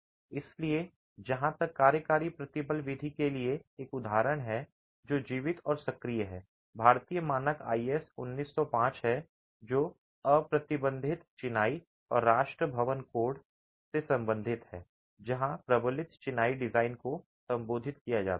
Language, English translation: Hindi, So as far as an example for the working stress method which is alive and active are the Indian standards 1905 which deals with unreinforced masonry and the National Building Code 2016 where the reinforced masonry design is addressed